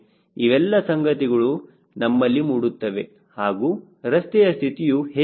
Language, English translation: Kannada, all these issues will come right and how is the road conditions